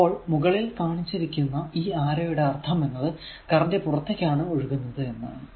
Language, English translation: Malayalam, So, this arrow this is your what you call that arrow upward means the current is leaving upward I mean current is moving flowing upward